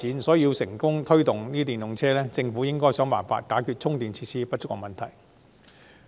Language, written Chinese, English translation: Cantonese, 所以，政府若要推動電動車，便應設法解決充電設施不足的問題。, Therefore if the Government wishes to promote electric vehicles it should make effort to tackle the problem of inadequate charging facilities